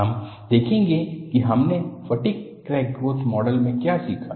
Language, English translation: Hindi, We will look at what we learned in the fatigue crack growth model